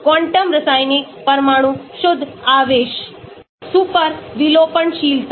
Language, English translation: Hindi, quantum chemical atomic net charge, super delocalizability